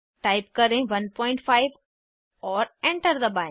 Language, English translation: Hindi, Type 1.5 and press Enter